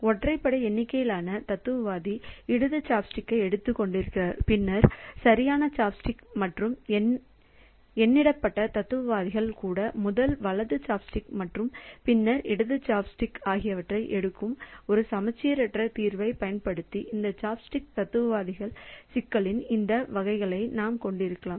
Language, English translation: Tamil, So, this way we can have this variants of this dining philosophers problem using an asymmetric solution that odd numbered philosopher picks up the left chop stick and then the right chopstick and even numbered philosophers picks up the first the right chop stick and then the left chop stick